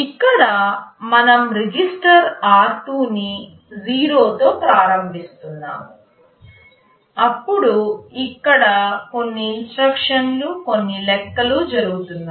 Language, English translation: Telugu, Here we are initializing some register r2 to 0, then some instructions here some calculations are going on